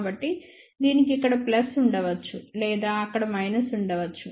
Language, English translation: Telugu, So, it may have a plus here or minus over there